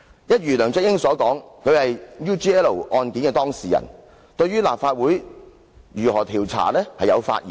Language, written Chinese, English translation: Cantonese, 一如梁振英所說，他是 UGL 案件的當事人，對於立法會如何調查有發言權。, As pointed out by LEUNG Chun - ying he being the subject of inquiry in the UGL case has a say in how the Legislative Council conducts the inquiry